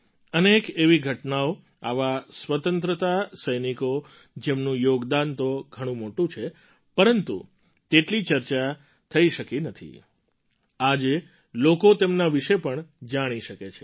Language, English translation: Gujarati, There are many such incidents, such freedom fighters whose contribution have been huge, but had not been adequately discussed…today, people are able to know about them